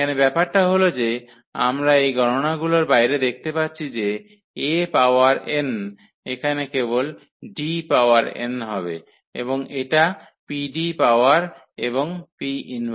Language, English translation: Bengali, So, what is the point here that we can see out of these calculations that A power n will be also just D power n here and this PD power and P inverse